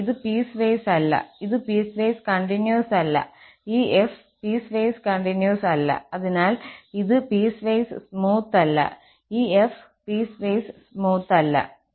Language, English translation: Malayalam, This is not piecewise, not piecewise continuous, this is not piecewise continuous, the f prime is not piecewise continuous